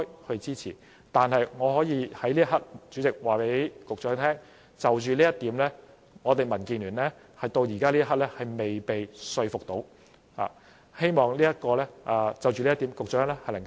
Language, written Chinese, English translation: Cantonese, 但是，主席，我可以在此刻告訴局長，就着這一點，民建聯直至此刻仍未被說服，希望局長能就這一點多作回應。, However Chairman I can tell the Secretary that at this juncture DAB is still unconvinced on this point and we hope that the Secretary can say more in the reply